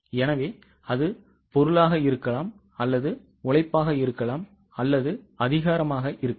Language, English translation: Tamil, So, it can be for material, it can be labor, it can be for power